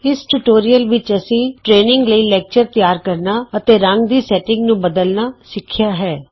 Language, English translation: Punjabi, In this tutorial we learnt to create a lecture for training and modify colour settings